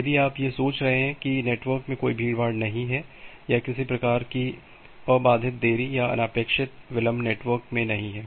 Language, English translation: Hindi, If you are thinking of that there is no congestion in the network or there is no kind of uninterrupted delay or unintended delay which is their in the network